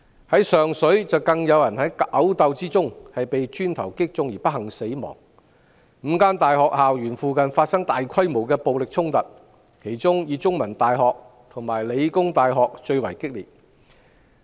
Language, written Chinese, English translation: Cantonese, 在上水，有人在毆鬥中被磚頭擊中不幸死亡 ，5 所大學校園附近亦發生大規模暴力衝突，而香港中文大學和香港理工大學的情況最為激烈。, In Sheung Shui a person unfortunately died after being hit by a brick in a fight . Massive violent clashes also took place near the campuses of five universities and the situation was most severe at The Chinese University of Hong Kong and The Hong Kong Polytechnic University